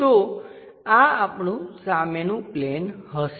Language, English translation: Gujarati, So, this will be our front plane